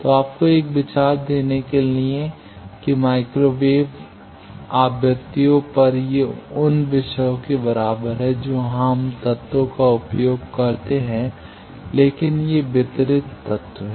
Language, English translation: Hindi, So, to give you an idea that microwave, at microwave frequencies these are equivalent of the themes that here, we do not use elements, but these are the distributed element